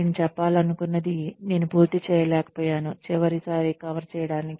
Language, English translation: Telugu, I was unable to finish, what I planned, to cover last time